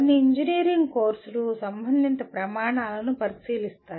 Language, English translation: Telugu, Whereas a few engineering courses do consider relevant standards